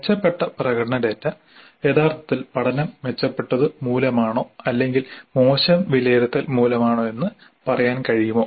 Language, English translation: Malayalam, Can we say that actually the learning has improved or is the improved performance data because of poorer assessments